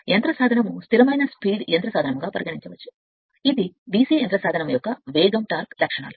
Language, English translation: Telugu, The motor can be considered as a constant speed motor, this is a speed torque characteristics of DC motor right